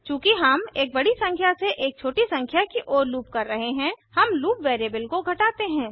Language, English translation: Hindi, Since we are looping from a bigger number to a smaller number, we decrement the loop variable